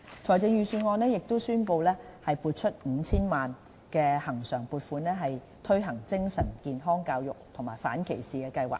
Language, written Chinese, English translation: Cantonese, 財政預算案宣布撥出 5,000 萬元恆常撥款，推行精神健康教育及反歧視計劃。, It was announced in the Budget that a recurrent funding of 50 million will be allocated to the implementation of a mental health education and destigmatization campaign